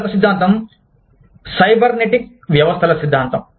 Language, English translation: Telugu, Another theory is the theory of cybernetic systems